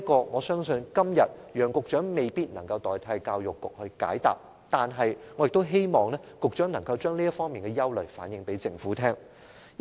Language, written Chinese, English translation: Cantonese, 我相信楊局長今天未必能代教育局解答這項問題，但我希望局長向政府反映這些憂慮。, Secretary Kevin YEUNG might be unable to answer this question on behalf of the Education Bureau today . But still I hope he can relay these concerns to the Government